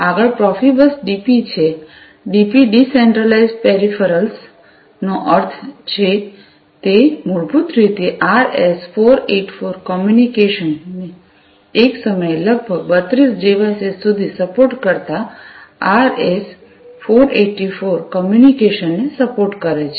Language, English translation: Gujarati, Next is the Profibus DP, DP stands for Decentralized Peripherals; it basically supports RS 484 communication, RS 484 communication supporting up to about 32 devices at a time